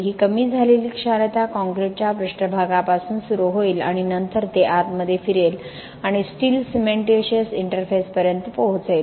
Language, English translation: Marathi, This reduced alkalinity will start from the surface of the concrete and then it travels inside and reaches the steel cementitious interface